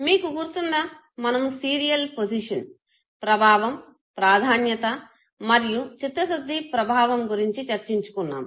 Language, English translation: Telugu, You remember, we had talked about the serial position event know the primacy and the recency effect